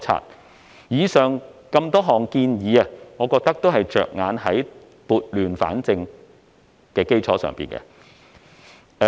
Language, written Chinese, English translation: Cantonese, 我認為上述多項建議都是着眼於撥亂反正。, In my view many of the above mentioned proposals seek to put things right